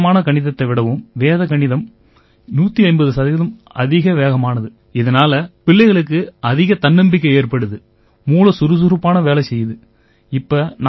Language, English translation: Tamil, Vedic maths is fifteen hundred percent faster than this simple maths and it gives a lot of confidence in the children and the mind also runs faster